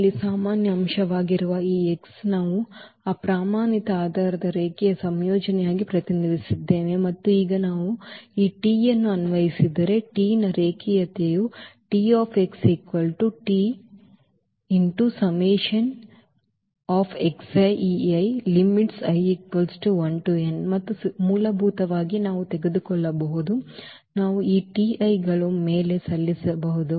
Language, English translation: Kannada, So, this x which is a general element in R n we have represented as a linear combination of that those standard basis and now if we apply this T, the linearity of T will implies that T x T of x will be the T of this here the summation and basically we can take we can apply on this T i’s